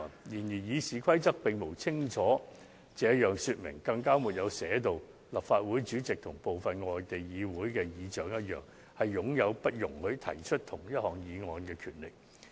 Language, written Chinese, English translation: Cantonese, 雖然《議事規則》並無清楚訂明，立法會主席與部分外地議會的議事長相同，擁有不容許提出相同議案的權力。, Although it is not expressly provided for in the RoP the President of the Legislative Council has like some of the presiding officers of the parliaments in some foreign countries the power to disallow the same adjournment motions to be moved